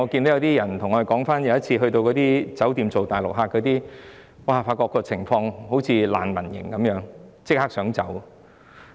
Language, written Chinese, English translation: Cantonese, 有些人對我們說曾入住接待大陸旅客的酒店，發覺情況好像難民營，想立即離開。, Some people told us that after booking into a hotel that received Mainland tourists they found the conditions comparable to those of a refugee camp and thus wanted to leave right away